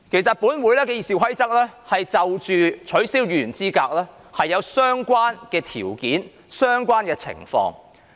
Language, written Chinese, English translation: Cantonese, 第二，《議事規則》已就取消議員資格作出相關的規定。, Second there is a provision on Disqualification of Member from Office in the Rules of Procedure